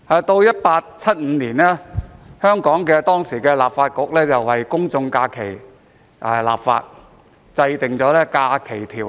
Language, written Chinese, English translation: Cantonese, 到了1875年，當時香港立法局為公眾假期立法，制定《假期條例》。, In 1875 the then Hong Kong Legislative Council legislated on general holidays and enacted the Holidays Ordinance